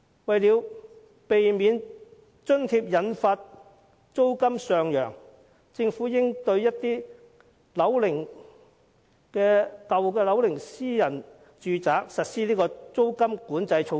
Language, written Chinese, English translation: Cantonese, 為了避免這項津貼會引發租金上揚，政府應對有一定樓齡的私人住宅實施租金管制措施。, In order to prevent an increase in rents arising from the provision of rental allowance the Government should introduce rent control for private buildings of certain age